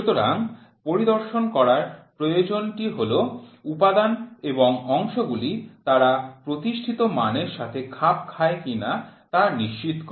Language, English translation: Bengali, So, the need for inspection is to ensure components and parts whether they conform to the established standards